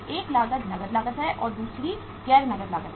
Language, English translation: Hindi, One cost is the cash cost and another is a non cash cost